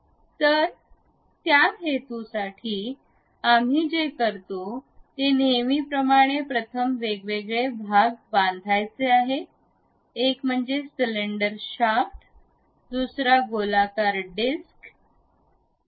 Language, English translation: Marathi, So, for that purpose, what we do is as usual first we have to construct different parts, one is cylinder shaft, other one is circular disc